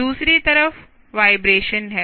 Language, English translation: Hindi, on the other side, the are vibrations